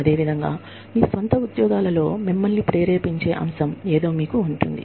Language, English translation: Telugu, Similarly, in your own jobs, you will have something, you know, that motivates you